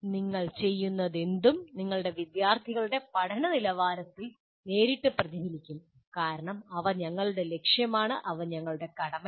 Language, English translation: Malayalam, Whatever you do will directly reflect in the quality of learning of your students because that is our, they are our goal, they are our duty